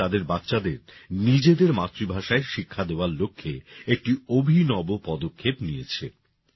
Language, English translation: Bengali, This village has taken a unique initiative to provide education to its children in their mother tongue